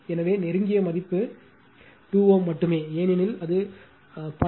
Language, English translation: Tamil, So, closest value is 2 ohm only, because as it is 0